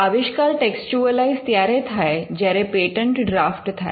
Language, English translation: Gujarati, So, the invention is textualized when you draft a patent